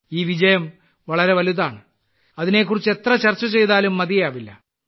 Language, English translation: Malayalam, This success is so grand that any amount of discussion about it would be inadequate